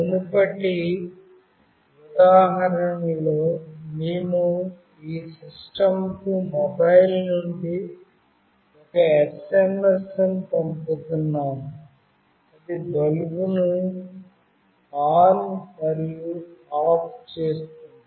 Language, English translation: Telugu, In the previous example we were sending an SMS from a mobile to your system that was making the bulb glow on and off